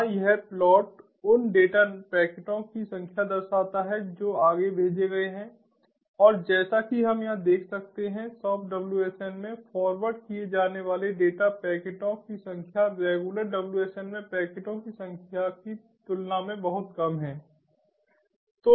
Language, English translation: Hindi, here this plot shows the number of data packets that are forwarded and, as we can see over here, the soft wsn, the number of data packets that are forwarded is much less compared to the number of ah packets in ah in a regular wsn